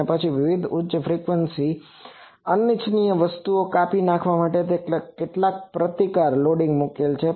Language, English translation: Gujarati, And then put some resistive loading to cut off various high frequency undesired things